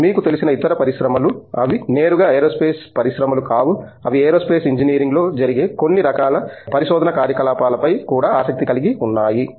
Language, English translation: Telugu, Other industries also which you know, which are may be peripheral not directly aerospace industries are they also interested in some of the kinds of research activities that go on in Aerospace Engineering